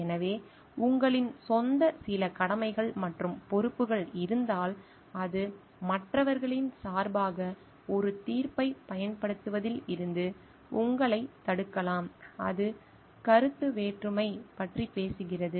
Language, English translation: Tamil, So, if you having your own certain obligations and responsibilities which may deter you from exercising a judgement on behalf of others, then it talks of conflict of interest